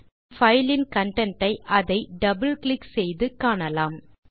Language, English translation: Tamil, We can see the content of the file by double clicking on it